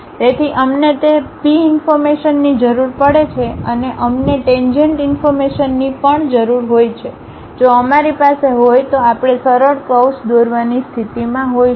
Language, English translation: Gujarati, So, we require that P informations and also we require the tangent informations, if we have we will be in a position to draw a smooth curve